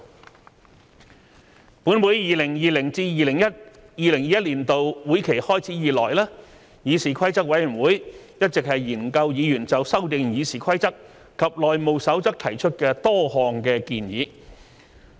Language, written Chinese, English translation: Cantonese, 立法會在 2020-2021 年度會期開始以來，議事規則委員會一直研究議員就修訂《議事規則》及《內務守則》提出的多項建議。, Since the commencement of the 2020 - 2021 Legislative Council Session CRoP has been studying multiple proposals for the amendment of RoP and the House Rules put forward by Members